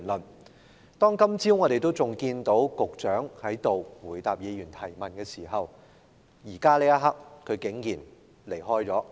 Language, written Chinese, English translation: Cantonese, 我們今天早上仍看到局長在這裏回答議員的質詢，但此刻他竟然離開了。, We still saw the Secretary answer Members questions here this morning but to our surprise he has left now